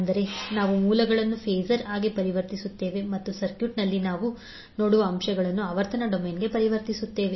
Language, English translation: Kannada, That means we will convert the sources into phasor and the elements which we see in the circuit will be converted into the frequency domain